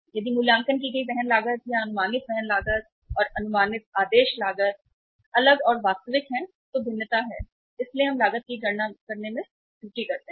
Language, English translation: Hindi, If the assessed carrying cost or the estimated carrying cost and the estimated ordering cost are different and actual are different so there is a variance, there is a error in calculating the cost